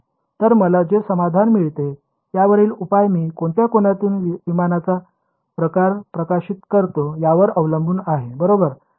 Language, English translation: Marathi, So, implicitly the solution that I get depends on how which angle I am illuminating the aircraft form right